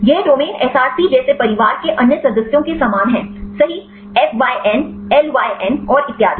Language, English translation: Hindi, These domains are similar to the other family members like Src; yes, fyn, lyn and so on